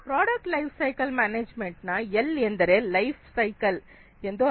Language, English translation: Kannada, The L of product lifecycle management stands for lifecycle, L stands for lifecycle